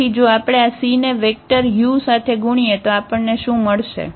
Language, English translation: Gujarati, So, if we multiply are this c to this vector u then what we will get